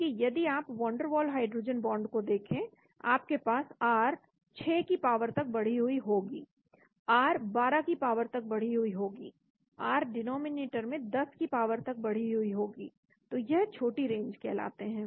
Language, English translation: Hindi, Whereas if you look at van der waal hydrogen bond you will have r raised to the power 6, r raised to the power 12, r raised to the power 10 in the denominator, so they are called short range